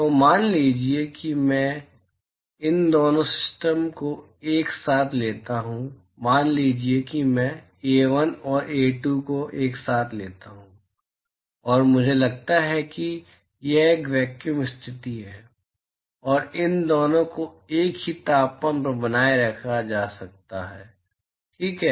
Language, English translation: Hindi, So, supposing I take these two system together, supposing I take A1 and A2 together, and I assume that it is a vacuum condition, and both of these are maintained at same temperature, right